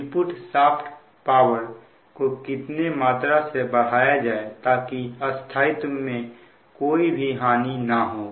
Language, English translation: Hindi, by how much can the input shaft power be increased right, suddenly, without loss of stability